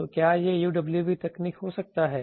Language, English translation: Hindi, So, can it have that UWB technology